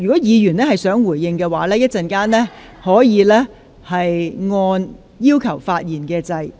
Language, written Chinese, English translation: Cantonese, 若議員想回應其他議員的發言，可按下"要求發言"按鈕。, A Member who wishes to respond to the remarks of other Members can press the Request to speak button